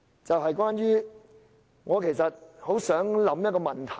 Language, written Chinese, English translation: Cantonese, 此外，我其實很想問一個問題。, Moreover I actually wish to ask a question